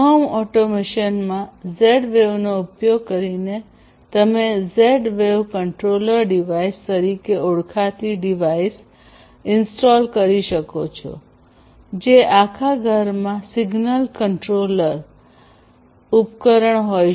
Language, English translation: Gujarati, So, in home automation you know using Z wave what you might be doing is that you can install something known as the Z wave controller device which can be you know it is a single controller device there in the entire home